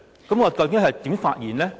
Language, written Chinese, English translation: Cantonese, 究竟我應該如何發言呢？, How should I deliver my speech?